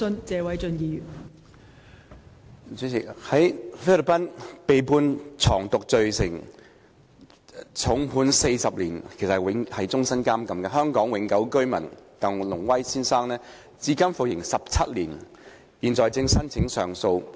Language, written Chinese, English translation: Cantonese, 代理主席，在菲律賓被判藏毒罪成重判40年——是終身監禁——的香港永久性居民鄧龍威先生至今服刑17年，現正申請上訴。, Deputy President Mr TANG Lung - wai a Hong Kong permanent resident who was convicted of drug possession and given a heavy sentence of 40 years imprisonment―life imprisonment―in the Philippines has so far served 17 years of his sentence and is currently applying for an appeal